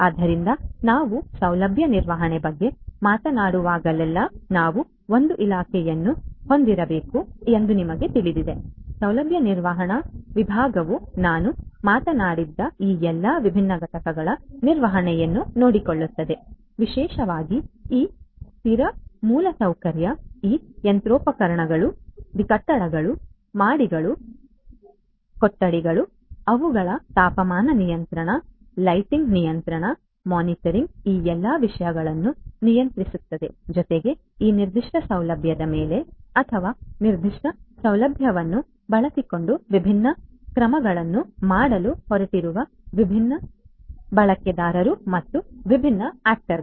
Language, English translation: Kannada, So, whenever we are talking about facility management you know we need to have a department a facility management department which will take care of the management of all of these different entities that I have talked about, particularly this fixed infrastructure, these machinery, the buildings, the floors, the rooms, they are temperature conditioning, the lighting conditioning, monitoring control all of these things plus the different users and the different actors who are going to perform different actions on this particular facility or using this particular facility